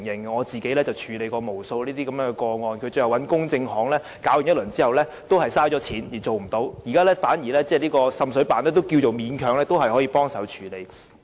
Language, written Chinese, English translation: Cantonese, 我曾經處理無數類似個案，就是市民委託公證行調查，最終花了錢卻也處理不到滲水問題，反而滲水辦現時勉強也算是個方法。, I have handled many such complaints and I observe that in many cases people are simply unable to solve the water seepage problem after hiring an adjuster with their own money to carry out investigation . In contrast the Joint Office can still be of some help anyhow